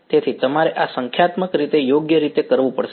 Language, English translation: Gujarati, So, you have to do this numerically right